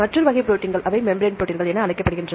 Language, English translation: Tamil, Then look into membrane proteins, they are of two types